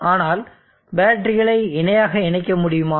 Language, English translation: Tamil, But can we connect batteries in parallel is the question